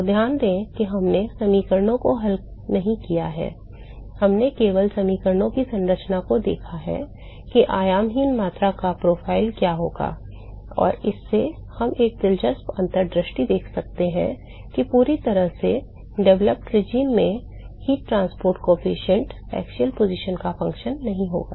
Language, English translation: Hindi, So, note that we have not solved the equations, we have only looked at the structure of the equations and we have made we have looked at what is going to be the profile of the dimensionless quantity and from that we are able to look derive an interesting insight that the heat transport coefficient in the fully developed regime is not going to be a function of the axial position